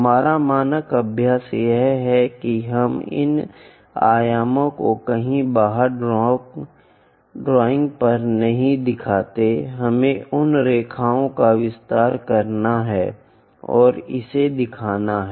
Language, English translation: Hindi, Our standard practice is we do not show these dimensions on the drawing somewhere outside we have to extend those lines and show it